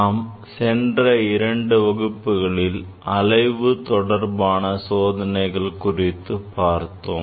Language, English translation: Tamil, In last two classes I have briefly discussed about the experiments on oscillation